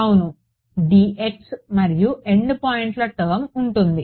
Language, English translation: Telugu, Correct dx and the end points term ok